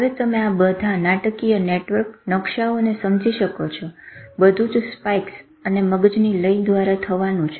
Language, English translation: Gujarati, All this drama of network, maps, everything is going to happen through these spikes and brain rhythm